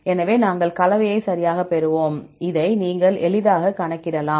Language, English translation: Tamil, So, then, we will get the composition right, this easily you can calculate the composition